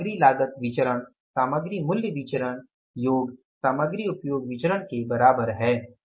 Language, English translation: Hindi, Material cost variance is equal to material price variance plus material usage variance